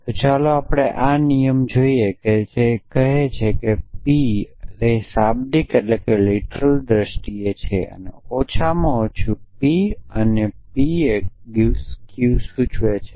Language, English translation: Gujarati, So, let us quickly just look at this rule what does says it says P or it says in terms of literals at least P and P implies Q